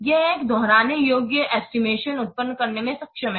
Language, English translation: Hindi, It is able to generate repeatable estimations